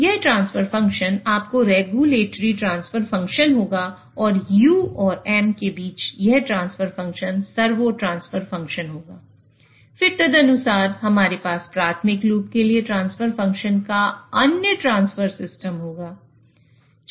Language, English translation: Hindi, So this transfer function will be a regulatory transfer function and this transfer function between U and M will be a servo transfer function